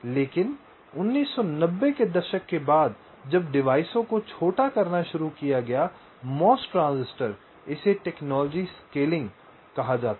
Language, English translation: Hindi, but subsequent to nineteen, nineties, when ah, the devices started to scale down the mos transistors this is called technology scaling